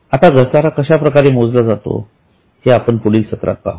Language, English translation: Marathi, Now how the depreciation is calculated we will see in the next session